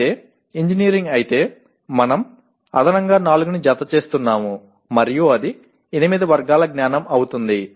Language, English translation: Telugu, Whereas if it is engineering we are adding additional 4 and it becomes 8 categories of knowledge